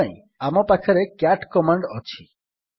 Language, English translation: Odia, For this, we have the cat command